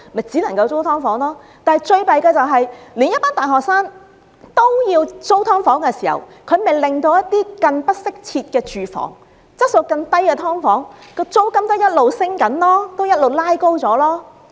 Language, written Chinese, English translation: Cantonese, 最糟糕的是，當大學生也要租住"劏房"時，更不適切的住房、質素更低的"劏房"的租金便因而持續上升，一直"拉高"。, Worst of all when the affordability of university graduates is so low that they can only afford to rent an SDU the rent for other inadequate housing units or SDUs of poorer quality will be driven up continuously